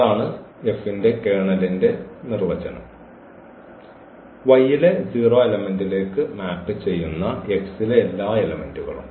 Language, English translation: Malayalam, So, this is the definition of the kernel of F; all the elements in X which map to the 0 element in Y